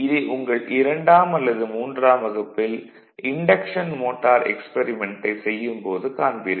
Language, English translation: Tamil, This will do it when you will in the second and third year when you will do the induction motor experiment right